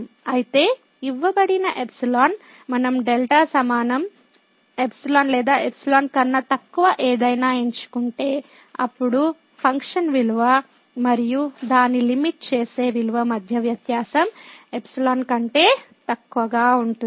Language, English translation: Telugu, So, for given epsilon, if we choose delta equal to epsilon or anything less than epsilon; then, the difference between the function value and its limiting value will be less than epsilon